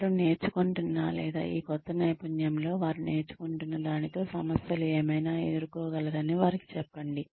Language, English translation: Telugu, Tell them that, whatever they are learning, or, the problems, they could face, in this new skill that, they are learning